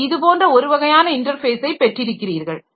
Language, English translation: Tamil, So, that is a that is one type of interface that you can have